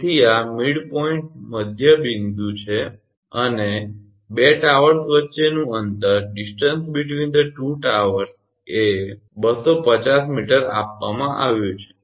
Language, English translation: Gujarati, So, this is the midpoint and the distance between the two towers is given 250 meter